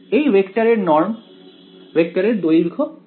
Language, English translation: Bengali, What is the norm of this vector length of this vector